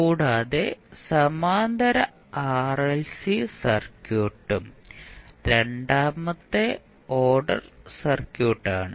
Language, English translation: Malayalam, Also, the parallel RLC circuit is also the second order circuit